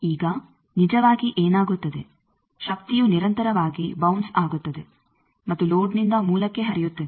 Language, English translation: Kannada, Now, actually what happens power is continuously bounces to and flow from load to source